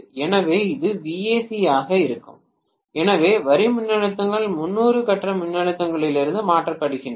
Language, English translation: Tamil, So this is going to be VAC so the line voltages are 30 degrees shifted from the phase voltages right